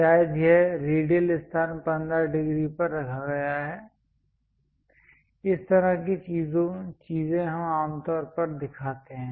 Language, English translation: Hindi, Perhaps this radial location it is placed at 15 degrees; such kind of things we usually show